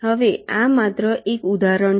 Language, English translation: Gujarati, now this is just an example